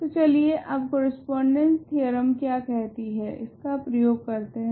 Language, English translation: Hindi, So, let us now apply what the correspondence theorem says